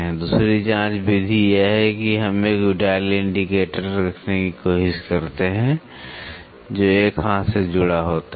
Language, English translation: Hindi, The 2 probe method is we try to have a dial indicator, which is attached to an arm